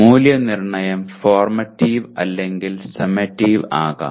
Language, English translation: Malayalam, Assessment could be formative or summative